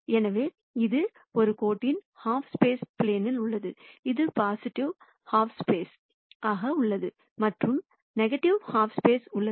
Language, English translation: Tamil, So, this is on the hyperplane of the line, this is on the positive half space and this is on the negative half space